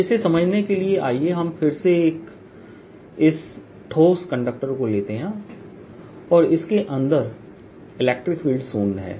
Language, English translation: Hindi, so to understand this, let us again take this conductor, which is supposed to be solid and e zero inside